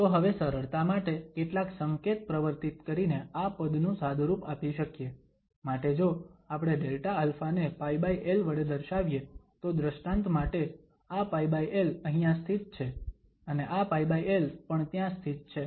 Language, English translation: Gujarati, So, for simplifications now because this, by introducing some notations we can simplify this term, so the Delta alpha, if we denote by pi over l, so for instance this pi over l is sitting here and also this pi over l is sitting there